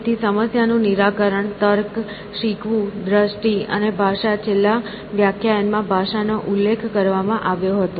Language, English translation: Gujarati, So, problem solving, reasoning, learning, perception and language; language was mentioned in the last class